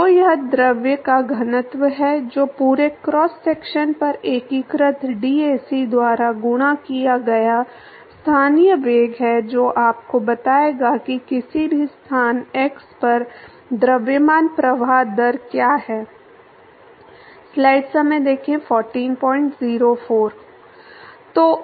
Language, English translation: Hindi, So, that is the density of the fluid that is the local velocity multiplied by dAc integrated over the whole cross section will tell you what is the mass flow rate at any location x